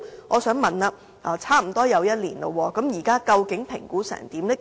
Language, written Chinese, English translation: Cantonese, 我想問，事隔差不多1年，究竟評估的結果為何？, May I ask after almost one year what the results of the assessments are?